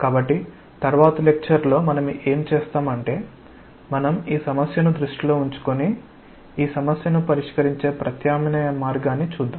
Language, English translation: Telugu, So, what we will do is in the next class we will try to see we will keep this problem in mind, we will see the alternative way by which we will be solving this problem